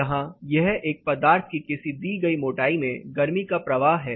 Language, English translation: Hindi, Here, this is the heat flow through a material for a stated thickness